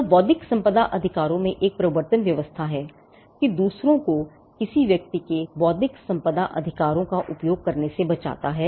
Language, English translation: Hindi, So, there is in intellectual property rights, an enforcement regime which protects others from using a person’s intellectual property rights